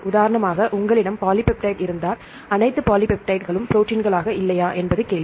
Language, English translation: Tamil, For example, if you have polypeptide, the question is all polypeptides are proteins or not